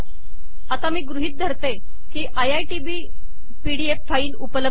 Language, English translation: Marathi, Here I am assuming that iitb.pdf is available